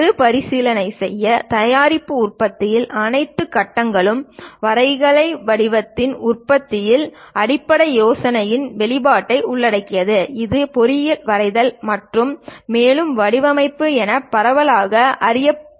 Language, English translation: Tamil, To recap all phases of manufacturing a product involved expressing basic ideas into graphical format widely known as engineering drawing and further design